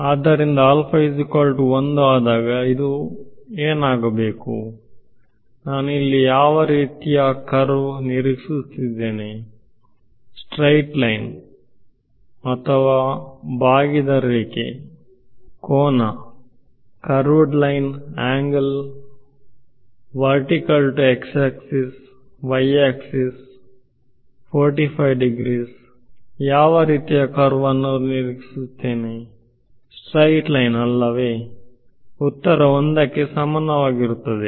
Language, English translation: Kannada, So, regardless of; so, what should this for when alpha is equal to 1 what kind of a curve I will expect here, straight line, curved line, angle, vertical to x axis, y axis, 45 degrees what kind of curve do I expect; straight flat line right answer is equal to 1 right